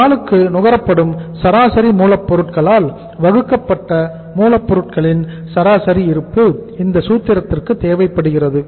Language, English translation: Tamil, That is the average stock of raw material and divided by the average raw material committed per day